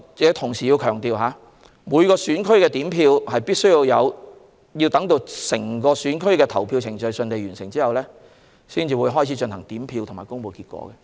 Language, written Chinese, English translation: Cantonese, 不過，我要強調一點，每個選區都要等到整個選區的投票程序順利完成後，才會進行點票和公布結果。, Nevertheless I would like to highlight one point the counting of votes will only commence when polling at all polling stations of the same constituency has closed and the results will be announced after the count